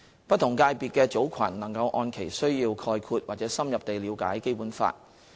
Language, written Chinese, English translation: Cantonese, 不同界別的組群能按其需要概括或深入地了解《基本法》。, Target groups of different sectors can gain a general or in - depth understanding of the Basic Law according to their needs